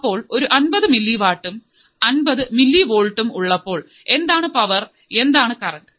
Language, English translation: Malayalam, So, at 50 milliwatt, at 50 millivolts, what is the power, what is the current